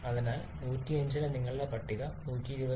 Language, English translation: Malayalam, So for 105 your table is giving 120